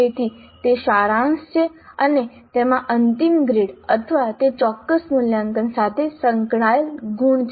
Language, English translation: Gujarati, So it is summative and it has a final grade or marks associated with that particular assessment